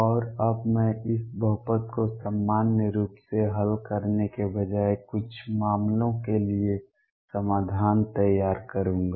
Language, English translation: Hindi, And now what I will do is instead of solving for this polynomial in general I will build up solution for certain cases